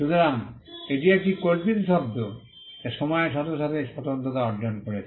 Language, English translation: Bengali, So, that is a fanciful term which has acquired distinctness over a period of time